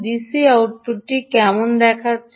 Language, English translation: Bengali, how does the d c output look